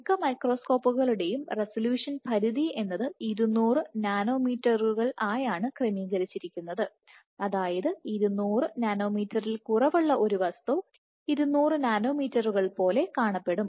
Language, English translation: Malayalam, So, what is resolution limit is of most microscopes are ordered 200 nanometers, which is to say that an object which is less than 200 nanometers would look like 200 nanometers